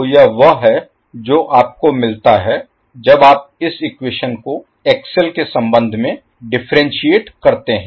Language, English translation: Hindi, So, this is what you get when you differentiate this is the equation with respect to XL